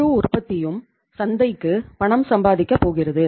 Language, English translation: Tamil, Entire production is going to the market and that to earn the cash